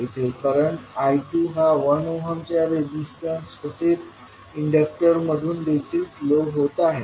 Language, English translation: Marathi, Here if you see the current I2 is flowing 1 ohm resistance as well as the inductor